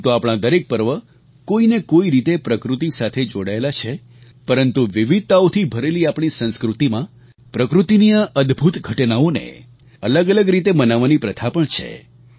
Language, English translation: Gujarati, Though all of our festivals are associated with nature in one way or the other, but in our country blessed with the bounty of cultural diversity, there are different ways to celebrate this wonderful episode of nature in different forms